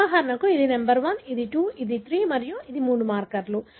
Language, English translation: Telugu, For example, this is number 1, this is 2 and this is 3 and these are the three markers